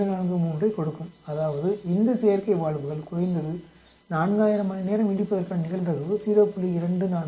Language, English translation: Tamil, 243 that means probability that these artificial valves will last at least 4000 hours is given by 0